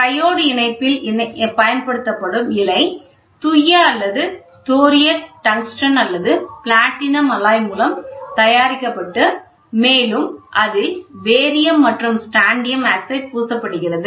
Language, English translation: Tamil, The filament used in triode assembly is made of pure or thoriated tungsten or platinum alloy coating of barium and strontium oxide